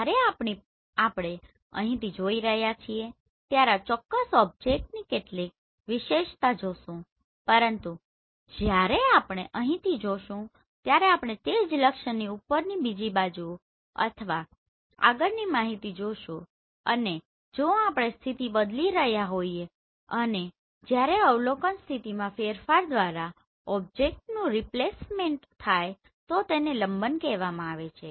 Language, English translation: Gujarati, When we are seeing from here we will see some feature of this particular object, but when we see from here we will see another side or next information above the same target and if we are changing the position and when we have displacement of an object caused by a change in the position of observation is called parallax